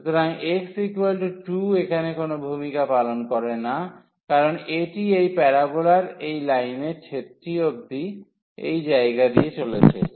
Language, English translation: Bengali, So, x is equal to 2 does not play a role here because this is precisely passing through this point of intersection of this parabola and this line